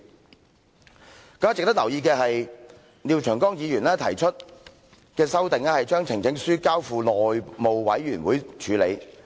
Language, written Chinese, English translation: Cantonese, 更加值得留意的是，廖長江議員提出的修正案，是把呈請書交付內務委員會處理。, What is even more noteworthy is that Mr Martin LIAOs amendment proposes that a petition should be referred to the House Committee